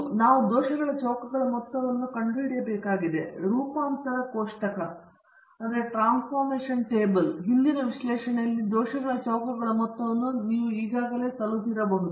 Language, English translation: Kannada, So, to do that we have to find the sum of squares of the errors; you might have already come across the sum of squares of the errors in earlier analysis of variance tables